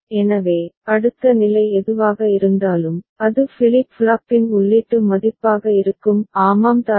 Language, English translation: Tamil, So, whatever is the next state so that will be the input value of the flip flop; is not it